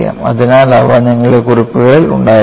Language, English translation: Malayalam, So, you need to have them in your notes